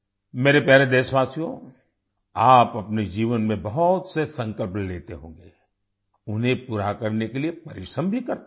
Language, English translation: Hindi, My dear countrymen, you must be taking many resolves in your life, and be you must be working hard to fulfill them